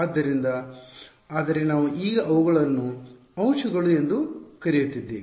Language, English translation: Kannada, So, but we are calling them elements now ok